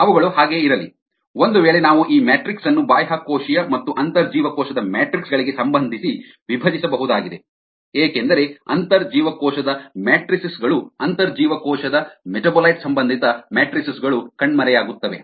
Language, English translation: Kannada, if this is the case, then we could spilt up this matrix as related to extracellular and intracellular ah matrixes, because intracellular matrixes, intracellular metabolite related matrixes, will back